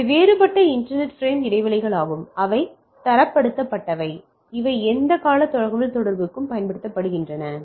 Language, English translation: Tamil, So, these are different inter frame spacing’s which are standardized, which are used for this communication